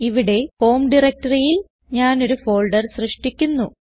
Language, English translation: Malayalam, Here, in the home directory i will create a folder